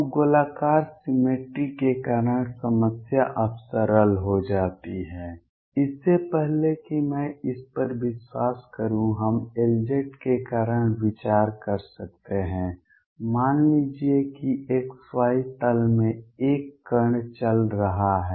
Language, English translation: Hindi, So, because of spherical symmetry the problem gets simplified now before I believe this we can consider because of L z suppose there is a particle moving in x y plane